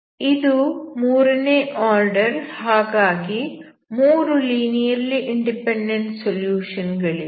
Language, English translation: Kannada, That means the above three are the linearly independent solution